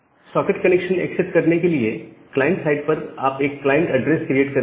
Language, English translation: Hindi, Well, now to accept a socket connection, so you in the client side you create a client address